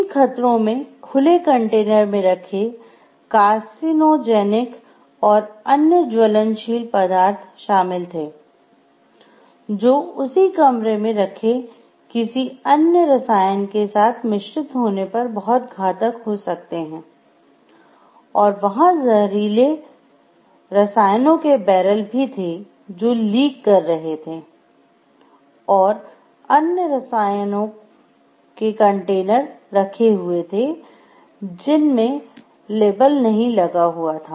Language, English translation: Hindi, These hazards included carcinogenic and flammable substances left in open containers, chemicals that can become lethal when mixed together being stored in the same room; like, and there were barrels of toxic chemicals that were leaking and unlabeled containers of chemicals